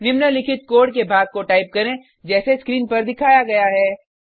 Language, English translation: Hindi, Type the following piece of code as shown on the screen Let us understand the code now